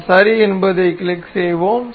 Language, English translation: Tamil, We will click on ok